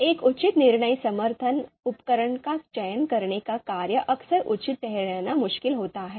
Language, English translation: Hindi, So task of selecting an appropriate decision support tool, this is often difficult to justify